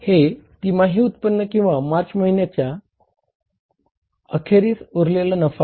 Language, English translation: Marathi, This is the quarterly income or the profit available for this company that is the profit at the end of the month of March